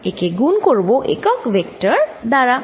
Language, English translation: Bengali, And what is this vector